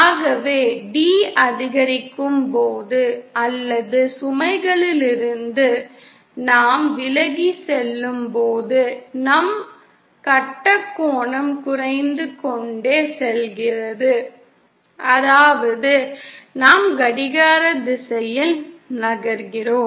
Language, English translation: Tamil, So if we can draw this, as d increases or we are going away from the load, our phase angle keeps on decreasing and phase angle decreasing means we are moving in a clockwise direction